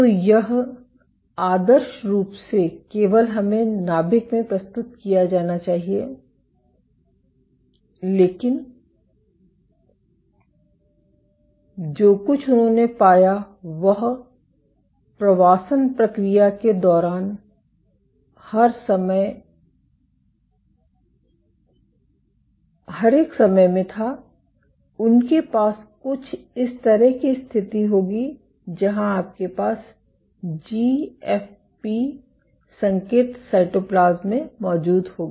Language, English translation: Hindi, So, this should ideally only we presented in the nucleus, but what they found was during the migration process every once in a while, they would have a situation somewhat like this, where you have the GFP signal would be present in the cytoplasm